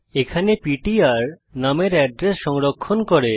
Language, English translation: Bengali, Over here ptr stores the address of num